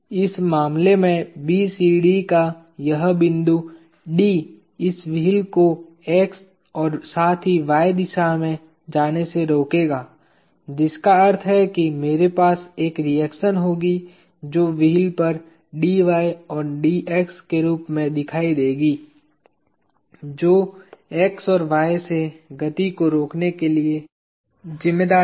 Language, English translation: Hindi, In which case, this point D of BCD will restrain this wheel from moving in x as well as y direction, which means I will have a reaction that appears on the wheel as Dy and Dx that is responsible for preventing motion from x and y